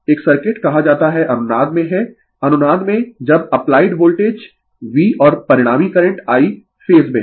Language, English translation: Hindi, A circuit is said to be in resonance right, in resonance when the applied voltage V and the resulting current I are in phase